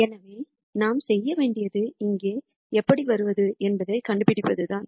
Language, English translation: Tamil, So, what we need to do is we have to figure out some how to get here